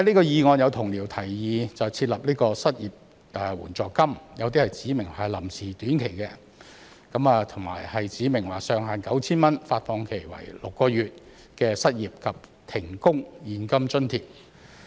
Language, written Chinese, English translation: Cantonese, 有同僚就議案提議設立失業援助金，有些指明這是臨時的短期措施，亦有指明上限是 9,000 元、發放期6個月的失業及停工現金津貼。, Some fellow colleagues have proposed the establishment of an unemployment assistance in respect of the motion . Among them some have specified that it is a temporary and short - term measure whereas some have specified that it should be a cash allowance capped at 9,000 to be provided for the unemployed and those suspended from work for a period of six months